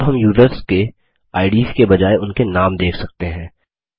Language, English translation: Hindi, Now we can see the names of the users instead of their ids